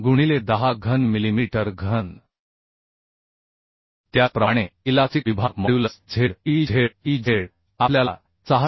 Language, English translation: Marathi, 76 into 10 cube millimetre cube Similarly the elastic section modulus Ze Zez we can find from the SP 6 as 607